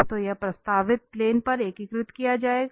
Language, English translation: Hindi, So, this will be integrated over the projected plane